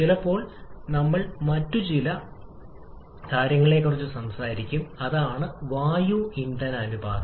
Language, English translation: Malayalam, Sometimes we talk about the other thing also that is air fuel ratio